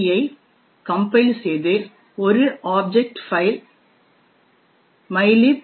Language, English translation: Tamil, c, create an object file mylib